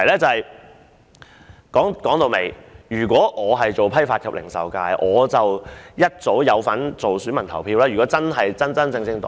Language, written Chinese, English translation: Cantonese, 說到底，如果我能成為批發及零售界的候選人，我應是該界別的選民。, After all if I was a candidate for the Wholesale and Retail FC I should be an elector of that FC as well